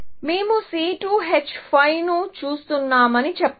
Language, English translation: Telugu, Let us say that we are looking at C5 H12